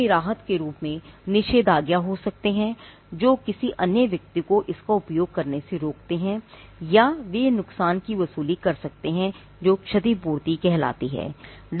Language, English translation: Hindi, They can be an injunction as a relief, which stops the person from using it or they can be a recovery of damages, which is compensation